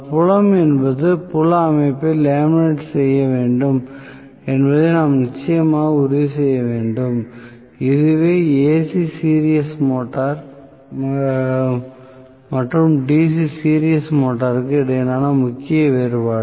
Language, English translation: Tamil, We definitely need to make sure that the field is also the field system also has to be laminated, so, the major difference between AC series motor and DC series motor